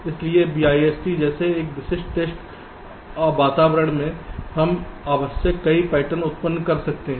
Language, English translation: Hindi, so in a typical test environment like bist we can generate as many patterns we required sim